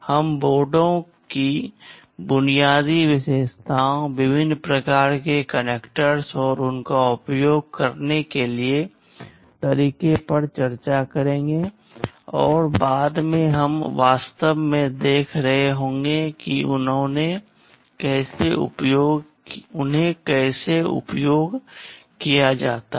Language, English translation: Hindi, We shall be discussing the basic features of the boards, the different kind of connectors and how to use them, and subsequently we shall be seeing actually how they are put to use